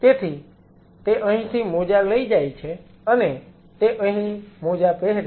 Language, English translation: Gujarati, So, he carries the gloves from here and he put on the gloves here